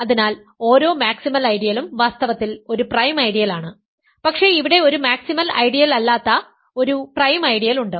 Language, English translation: Malayalam, So, every maximal ideal is in fact, a prime ideal, but there is a prime ideal that is not a maximal ideal